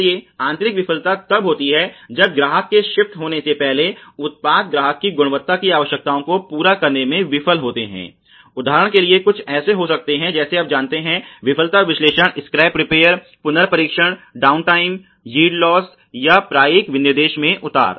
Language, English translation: Hindi, So, internal failure occurs when products fail to meet customer quality requirements before being shift to the customer, examples may be something like you know failure analysis, scrap repair, retest, downtime, yield losses, downgrading of usual specifications